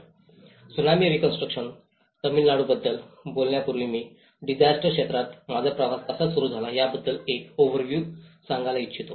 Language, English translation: Marathi, Before talking about this Tsunami Reconstruction Tamil Nadu, I would like to give you an overview of how my journey in the disaster field have started